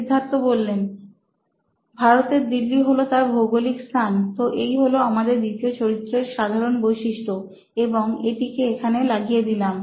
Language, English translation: Bengali, Delhi, India is his geography, so that is the basic persona of our second profile, and is pasted here